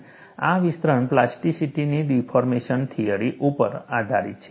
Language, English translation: Gujarati, And this extension, is based on the deformation theory of plasticity